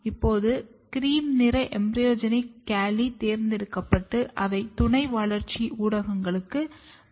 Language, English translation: Tamil, Now the cream colored embryogenic calli, they are selected and placed on the subculture media